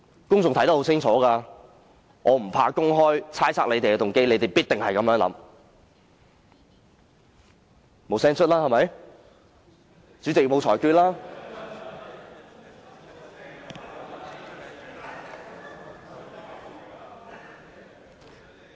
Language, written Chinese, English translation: Cantonese, 公眾看得很清楚，我不怕公開猜測他們的動機，因為他們必定是這樣想。, Members of the public should be able to see very clearly and I have no fear of making an open speculation on their motives as I bet they certainly think this way